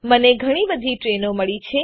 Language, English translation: Gujarati, I have got lots of train